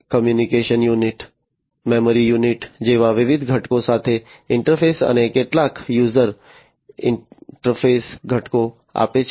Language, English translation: Gujarati, Interface with different components such as the communication unit, the memory unit, and give some user interface components